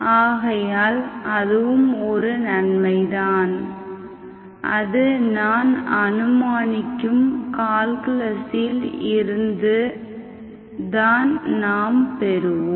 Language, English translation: Tamil, So that is the advantage, that is also from the calculus I am assuming